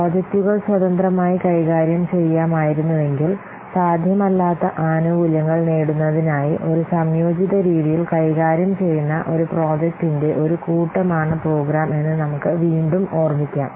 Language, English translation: Malayalam, Let us recall again a program is a group of projects which are managed in a coordinated way, in a collaborative way to gain benefits that would not be possible if the projects would have been managed independently